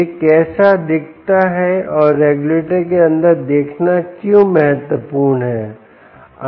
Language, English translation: Hindi, and why is it important to look inside the regulator